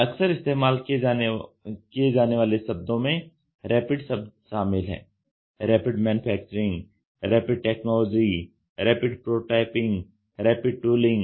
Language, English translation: Hindi, Often used terms include Rapid: Rapid Manufacturing, Rapid Technology, Rapid Prototyping, Rapid Tooling